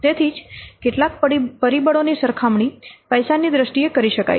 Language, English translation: Gujarati, So, that's why some factors can be directly compared in terms of money